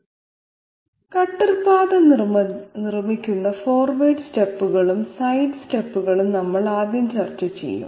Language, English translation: Malayalam, So we will be discussing 1st of all forward steps and side steps which make up the cutter path